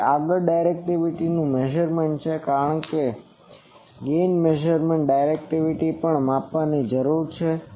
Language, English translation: Gujarati, So, next is measurement of directivity because gain measurement directivity also needs to be measured